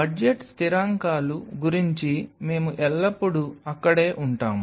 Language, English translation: Telugu, So, budgetary constants we will always be there